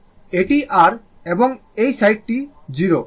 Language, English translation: Bengali, This is your i side this is 0